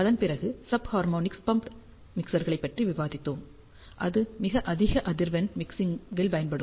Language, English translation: Tamil, After that we discussed about sub harmonically pumped mixers which are used for very high frequency mixing applications